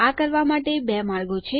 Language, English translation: Gujarati, There are 2 ways to do this